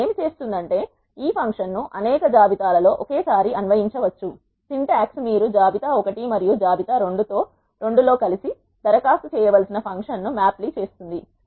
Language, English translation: Telugu, What is does is this function can be applied on several lists simultaneously the syntax is mapply the function you need to apply on list 1 and list 2 together